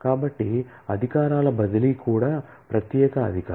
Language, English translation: Telugu, So, transfer of privileges is also privilege